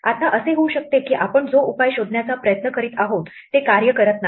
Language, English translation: Marathi, Now it might be that the solution that we are trying to get does not work